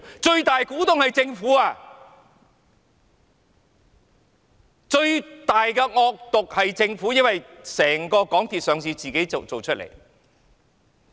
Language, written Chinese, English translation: Cantonese, 最大股東是政府，最惡毒的是政府，因為港鐵公司上市是政府一手造成的。, Being the major shareholder the Government is the greatest evil because it is the one to blame for the listing of MTRCL